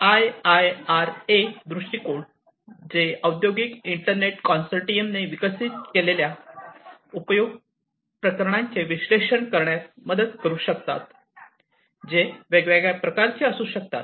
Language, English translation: Marathi, So, we have these different viewpoints IIRA viewpoints which can help in analyzing the use cases developed by the Industrial Internet Consortium which could be of different types